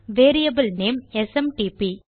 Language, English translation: Tamil, And the variable name is SMTP